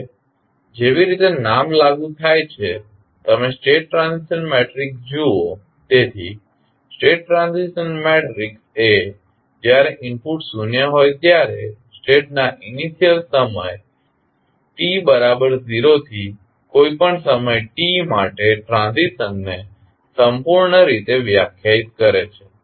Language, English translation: Gujarati, Now, as the name applies, you see the state transition matrix, so the state transition matrix completely defines the transition of the state from the initial time t is equal to 0 to any time t when the inputs are zero